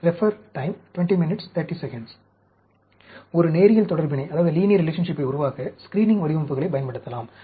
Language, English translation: Tamil, And screening designs can be used to develop a linear relationship